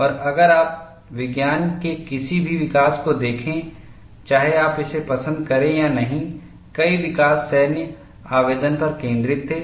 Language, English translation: Hindi, And if you also look at, any development in science, whether you like it or not, many developments were focused on military applications